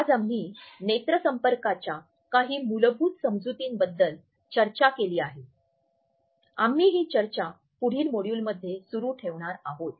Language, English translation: Marathi, So, today we have discussed certain basic understandings of eye contact we will continue this discussion in our next module too